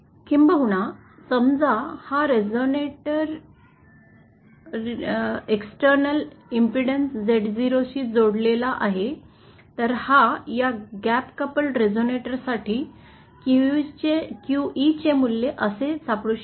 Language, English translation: Marathi, In fact the QE, suppose this resonator is connected to external impedance Z0, then the QE value for this gap coupled resonator, it can be found to be like this